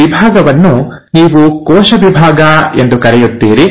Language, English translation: Kannada, Now this division is what you call as the cell division